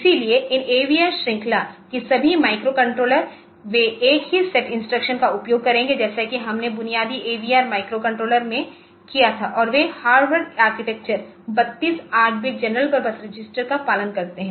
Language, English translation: Hindi, So, all these AVR series of microcontrollers they will be using the same set of instructions for as we had in the basic AVR microcontroller and they follow the Harvard architecture 32 8 bit general purpose registers